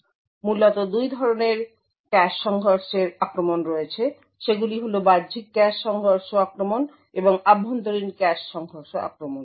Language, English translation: Bengali, collision attacks, they are external cache collision attacks and internal cache collision attacks